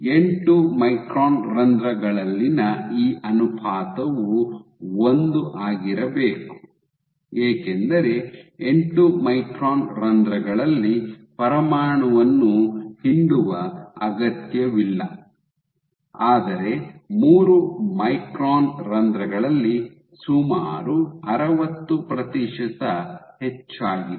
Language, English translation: Kannada, This ratio in 8 micron pores it should be 1, right because in eight micron pores the nuclear does not need to be squeezed, but in 3 micron pores there is a nearly 60 percent increased